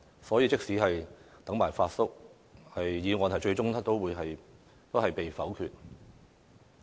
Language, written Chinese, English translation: Cantonese, 所以，即使"等埋'發叔'"，議案最終也會被否決。, For that reason even if we have successfully waited for Uncle Fat the motion will still be voted eventually